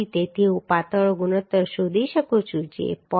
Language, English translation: Gujarati, 73 So I can find out the slenderness ratio that will be 0